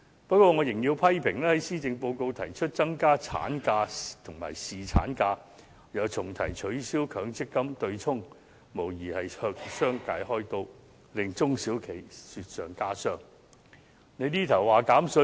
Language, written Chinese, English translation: Cantonese, 不過，我仍要批評施政報告提出增加產假和侍產假，又重提取消強積金對沖，無疑是向商界"開刀"，令中小型企業雪上加霜。, However I still have to criticize the Policy Address for proposing to increase the maternity leave and paternity leave and revisiting the abolition of the Mandatory Provident Fund offsetting arrangement . It is undoubtedly fleecing the business sector adding to the miseries of small and medium enterprises SMEs